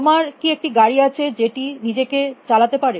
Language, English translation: Bengali, Can you have a car which will drive it selves